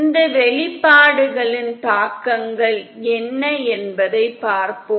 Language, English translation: Tamil, Let us see what are the implications of these expressions